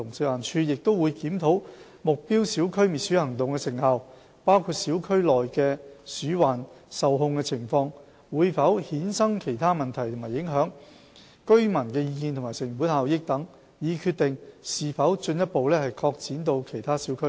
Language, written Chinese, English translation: Cantonese, 食環署亦會檢討目標小區滅鼠行動的成效，包括小區內的鼠患受控情況、會否衍生其他問題及影響，居民意見及成本效益等，以決定是否進一步擴展至其他小區。, FEHD would also evaluate the effectiveness of the anti - rodent operations in targeted areas including the rodent control situation in each targeted area other problems and impact that might be brought about views of local residents as well as cost - effectiveness etc in order to consider the need to extend the coverage of the operation to other areas of the district